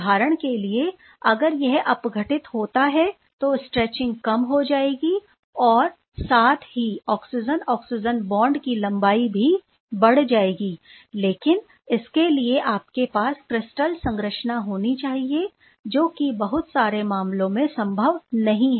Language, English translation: Hindi, For example, as you have seen if it is getting reduced the stretching goes down as well as the length of the oxygen oxygen bond goes up, but for that you have to have the crystal structure right that is quite not feasible in a lot of cases